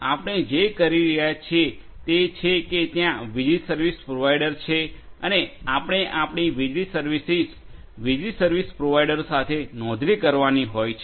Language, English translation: Gujarati, So, what we are doing is that there is an electricity service provider and that electricity service provider, we have to subscribe our electricity services to the electricity service provider